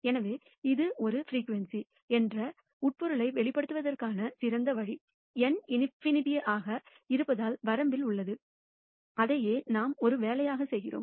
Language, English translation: Tamil, So, the best way of interpreting this as a frequency is in the limit as N tends to infinity and that is what we do as an assignment